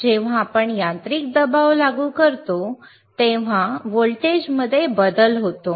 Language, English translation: Marathi, When it is when we apply a mechanical pressure there is a change in voltage,